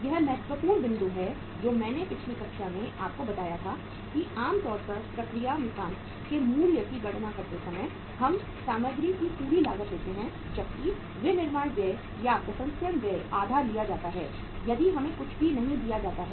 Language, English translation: Hindi, It is important point say I told you in the previous class that normally while calculating the value of the work in process uh we take full cost of the material whereas the manufacturing expenses or the processing expenses are taken as half if nothing is given to us